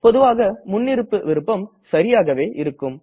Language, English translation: Tamil, The Default option will work in most cases